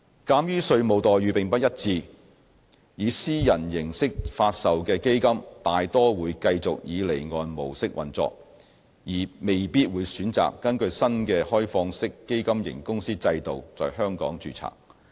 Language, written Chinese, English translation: Cantonese, 鑒於稅務待遇不一致，以私人形式發售的基金大多數會繼續以離岸模式運作，而未必會選擇根據新的開放式基金型公司制度在香港註冊。, Given such disparity in tax treatment most privately offered funds would prefer staying offshore rather than domiciling in Hong Kong using the new OFC regime